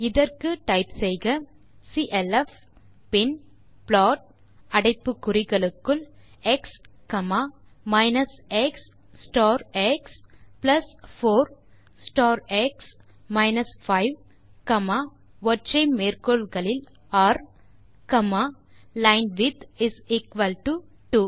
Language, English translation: Tamil, So for that you have to type clf then plot within brackets x,minus x star x plus 4 star x minus 5,r,linewidth is equal to 2